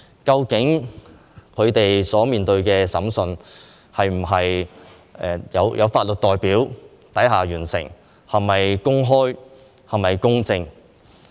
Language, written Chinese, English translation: Cantonese, 究竟他們的審訊是否在有法律代表下完成，是否公開、公正呢？, Will their trials be conducted in an open and fair manner with the presence of legal representatives?